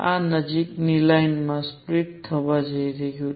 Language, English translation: Gujarati, This is going to split into nearby lines